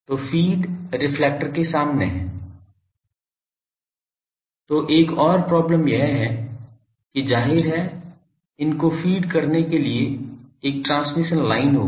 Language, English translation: Hindi, So, the feed is in the front of the reflector So, another problem is that this; obviously, there will be a transmission line to feed these